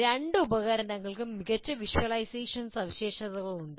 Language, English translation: Malayalam, And both the tools have excellent visualization features